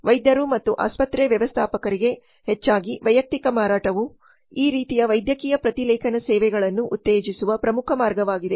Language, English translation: Kannada, Mostly personal selling to doctors and hospital managers is the important way of promoting these kind of medical transcription services